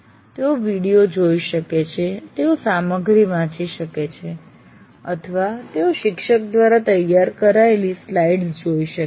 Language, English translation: Gujarati, They can look at videos, they can read the material or they can look at the slides prepared by the teacher, all that can happen